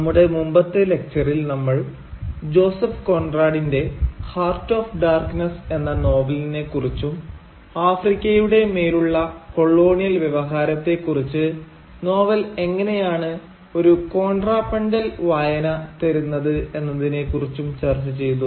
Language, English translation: Malayalam, Now, in our previous lecture, we discussed Joseph Conrad’s novel Heart of Darkness and how that novel provides a contrapuntal reading of the colonial discourse on Africa